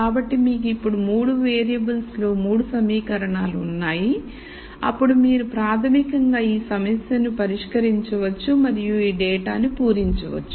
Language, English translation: Telugu, So, you have now 3 equations in 3 variables then you can basically solve this problem and fill in this data